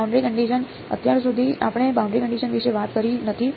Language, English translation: Gujarati, Boundary conditions, so far we have not talked about boundary conditions